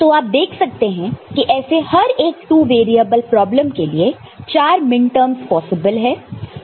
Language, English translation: Hindi, So, you can see that for each of these two variable problem, 4 possible such minterms are there